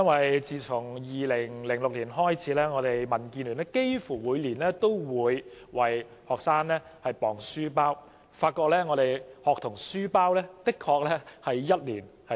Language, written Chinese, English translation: Cantonese, 民建聯自2006年起，幾乎每年都為學生量度書包重量，而且發現他們的書包一年比一年重。, Since 2006 DAB has been measuring the weight of their school bags almost every year and found that their school bags are getting heavier year on year